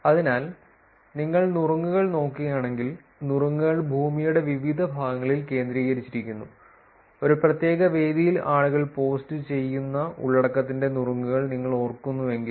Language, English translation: Malayalam, So, if you look at the tips, tips are concentrated in different location around the Earth; which is if you remember tips of the content that people post for a particular venue